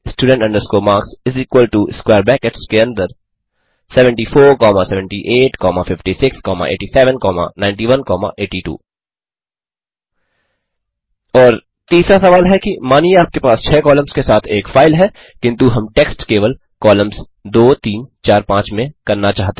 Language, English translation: Hindi, student marks is equal to within square brackets 74,78,56,87,91,82 And the third question is Suppose there is a file with 6 columns but we wish to load text only in columns 2,3,4,5